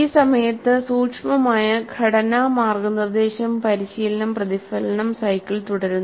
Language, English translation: Malayalam, And during this, there is a subtle structure guidance coaching reflection cycle that goes on